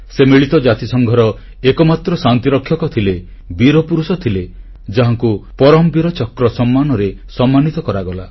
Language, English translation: Odia, He was the only UN peacekeeper, a braveheart, who was awarded the Param Veer Chakra